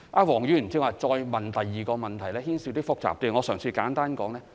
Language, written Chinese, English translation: Cantonese, 黃議員剛才提出的第二個問題牽涉一些複雜情況，我嘗試作簡單解說。, The second question raised by Mr WONG just now involves some complicated issues and I will try to give a simple elaboration